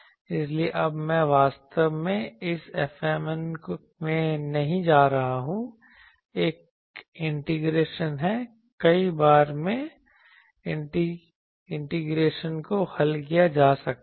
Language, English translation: Hindi, So, now I am not going here actually in this F mn there is an integration in many times, that integration can be solved